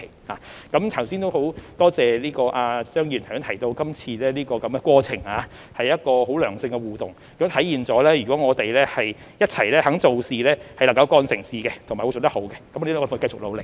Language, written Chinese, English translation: Cantonese, 很感謝張議員剛才提到今次的過程是一個良性互動，亦體現了我們若願意一起做事，便能夠幹成事和做得好，我們會繼續努力。, I am grateful to Mr CHEUNG for mentioning just now that this process has been a positive interaction . It also demonstrates that if we are willing to work together we can get things done and do them well . We will continue to work hard